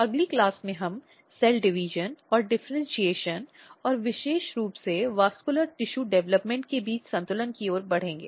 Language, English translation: Hindi, In next class, we will more move towards the balance between cell division and differentiation and particularly vascular tissue development